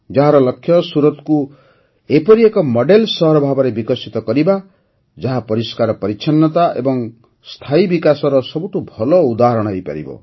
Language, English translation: Odia, Its aim is to make Surat a model city which becomes an excellent example of cleanliness and sustainable development